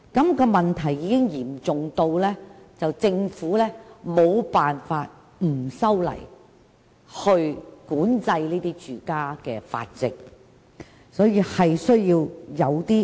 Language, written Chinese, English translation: Cantonese, 繁殖問題已經嚴重至政府無法不修例管制住家繁殖，而這確實是有需要的。, The problem of breeding has become so serious that the Government can no longer refrain from making legislative amendments to regulate home breeding which is indeed essential